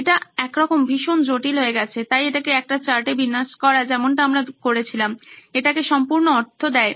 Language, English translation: Bengali, It sort of becomes very complex, so laying it out on a chart like how we did it makes complete sense